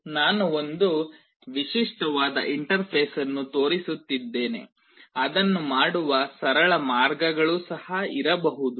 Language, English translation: Kannada, I am showing a typical interface there can be simpler ways of doing it also